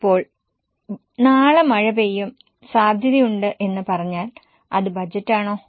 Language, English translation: Malayalam, So, if I say that tomorrow it is likely to rain, is it a budget